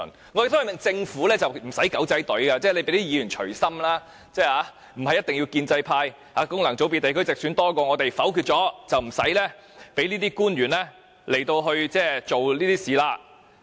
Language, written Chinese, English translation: Cantonese, 我們呼籲政府無需利用"狗仔隊"，就讓議員隨心投票，不是一定要建制派功能組別或地區直選人數比我們多，否決議案，有關官員便不用做這些事。, Also I urge the Government not to send the paparazzi this time and let Members follow their minds and vote . After all it does not have to insist on securing a pro - establishment majority in functional constituencies or geographical constituencies to dismiss all our motions so that the officials will not be summoned then